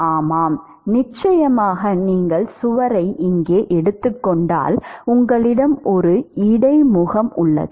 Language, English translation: Tamil, Yeah sure, supposing you take the wall is present here right, you have an interface